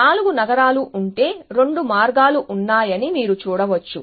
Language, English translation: Telugu, If there are four cities then you can see there are two paths